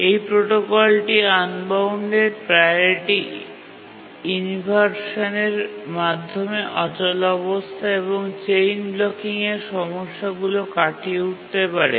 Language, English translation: Bengali, This protocol helps to overcome the problems of unbounded priority inversion, deadlock and chain blocking